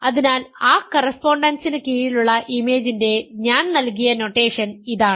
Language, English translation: Malayalam, So, this is my notation for the image under that correspondence